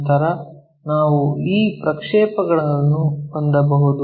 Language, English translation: Kannada, Then, we will we can have these projections